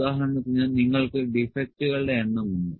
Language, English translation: Malayalam, For example, you have can be the number of defects